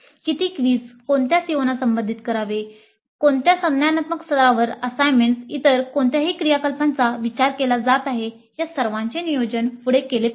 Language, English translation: Marathi, Then quizzes, how many quizzes, which COs should be addressed at what cognitive levels, assignments, any other activities that are being thought of, they all must be planned ahead, upfront